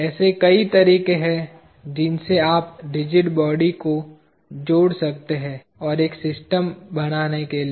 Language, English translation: Hindi, There are many ways in which you can connect the rigid bodies and to form a system